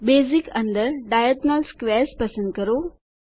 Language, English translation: Gujarati, Under Basic choose Diagonal Squares